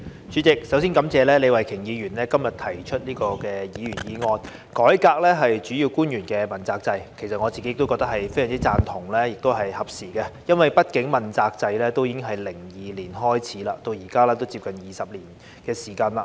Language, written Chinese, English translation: Cantonese, 主席，首先感謝李慧琼議員今天提出"改革主要官員問責制"的議員議案，我個人非常贊同，並認為是合時的，因為畢竟問責制在2002年開始，至今已接近20年的時間。, President first of all I would like to thank Ms Starry LEE for moving the motion on Reforming the accountability system for principal officials today which I totally agree to and I think is also timely because after all the accountability system has been implemented for nearly 20 years since 2002